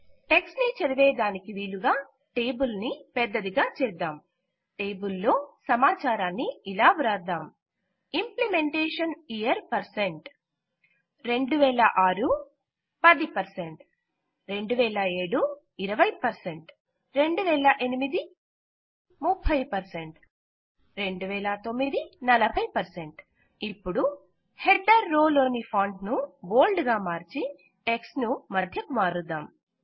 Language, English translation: Telugu, Enter data into the table as shows Implementation Year and#160% 2006 10% 2007 20% 2008 30% 2009 40% Now lets change the font of the header row to bold and center the text